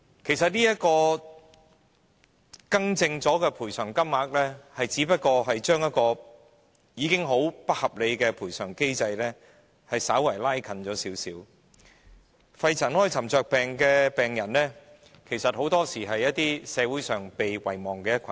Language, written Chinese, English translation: Cantonese, 事實上，這個已修改的賠償金額，只不過是把一個本來是很不合理的賠償機制改變為並非太不合理，肺塵埃沉着病的病人其實很多時是被社會遺忘的一群。, As a matter of fact this amendment to the amounts of compensation is merely making an originally very unreasonable compensation mechanism not too unreasonable . Pneumoconiosis patients are very often a forgotten group in our society